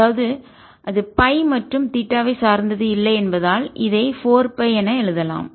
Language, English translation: Tamil, and since it does not depend on phi and theta, i can write this as four pi